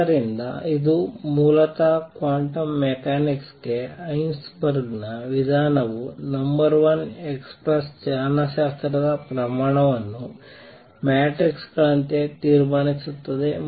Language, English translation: Kannada, So, this is basically Heisenberg’s approach to quantum mechanics will conclude number one express kinematic quantities as matrices